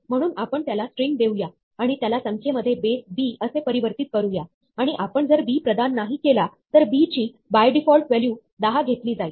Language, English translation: Marathi, So, we give it a string and convert it to a number in base b, and if we do not provide b, then, by default b has value 10